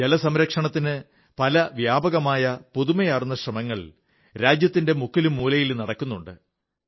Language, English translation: Malayalam, Quite a few extensive & innovative efforts are under way, in every corner of the country, for the sake of conserving water